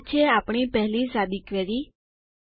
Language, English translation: Gujarati, So this is our first simple query